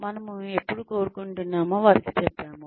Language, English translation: Telugu, We have told them, by when we wanted